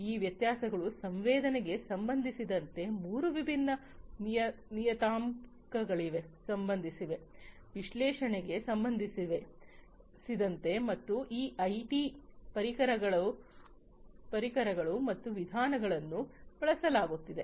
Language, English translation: Kannada, So, and these differences are with respect to three different parameters with respect to sensing, with respect to analytics, and these IT tools and methodologies that are being used